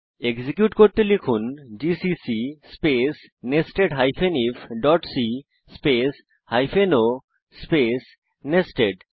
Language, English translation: Bengali, To execute , Type gcc space nested if.c space hyphen o space nested